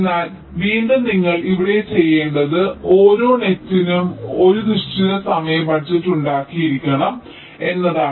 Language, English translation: Malayalam, but again, what you need to do here is that you need to have some kind of timing budget for every net